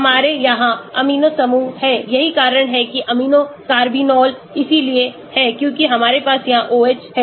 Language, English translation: Hindi, we have the amino group here that is why amino carbinols because we have the OH here look at them